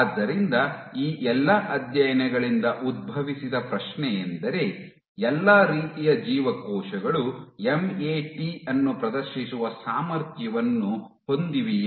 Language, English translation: Kannada, So, the question which arose from all of these studies are all types of cells capable of exhibiting MAT